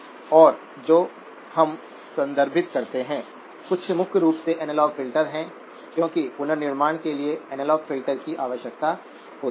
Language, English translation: Hindi, And what we refer to are primarily analog filters because an analog filter is needed for reconstruction